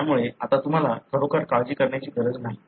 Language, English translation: Marathi, So, now you do not need to really worry about it